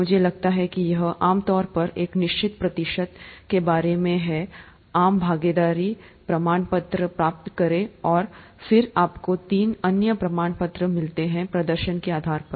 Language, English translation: Hindi, I think it's typically, till about a certain percentage, you get the participation certificate and then you get three other certificates depending on the level of performance